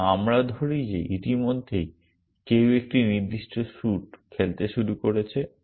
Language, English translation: Bengali, And let us say that already somebody has started playing a particular suit